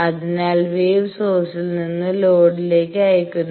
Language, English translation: Malayalam, So, this; the wave is sent from the source to the load